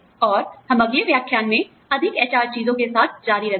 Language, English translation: Hindi, And, we will continue with more HR stuff, in the next lecture